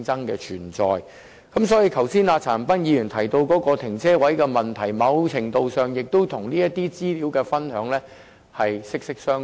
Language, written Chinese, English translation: Cantonese, 因此，剛才陳恒鑌議員提到泊車位的問題，在某程度上亦與資料分享息息相關。, Hence the issue of parking spaces mentioned by Mr CHAN Han - pan earlier has much to do with information sharing in some measure